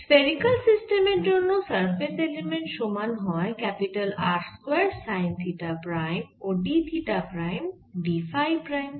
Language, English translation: Bengali, this spherical element is given by r square time theta prime and d theta prime, d phi prime